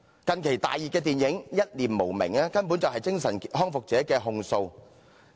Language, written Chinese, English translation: Cantonese, 近期大熱電影"一念無明"根本是精神康復者的控訴。, Mad World a recent blockbuster movie is actually a protest made by people recovering from mental illness